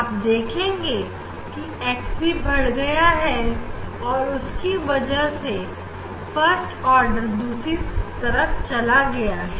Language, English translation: Hindi, You will see that x also this order will move other side